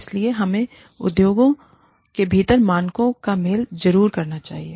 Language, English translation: Hindi, So, we must definitely match the standards, within the industry